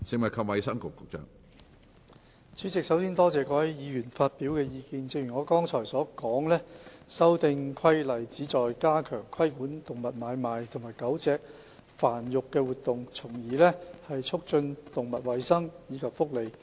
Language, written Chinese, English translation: Cantonese, 主席，首先多謝各位議員發表的意見，正如我剛才所說，修訂規例旨在加強規管動物買賣及狗隻繁育的活動，從而促進動物衞生及福利。, President first of all I would like to thank Honourable Members for their views . As I said earlier the Amendment Regulation seeks to strengthen the regulation of animal trading and dog breeding activities thereby promoting animal health and welfare